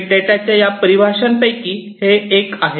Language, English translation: Marathi, This is as per one of these definitions of big data